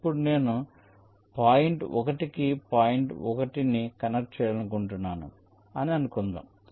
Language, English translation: Telugu, now let say, suppose i want to connect point one to point one